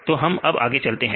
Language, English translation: Hindi, So, we can do that